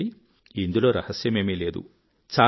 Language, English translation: Telugu, Now, there is no secret in this